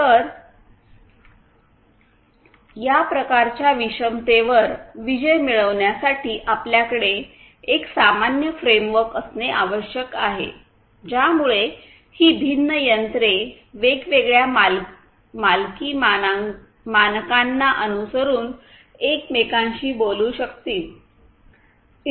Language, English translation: Marathi, So, you need to you need to in order to conquer this kind of heterogeneity; you need to have a common framework which will, which will make these disparate devices following different proprietary standards talk to each other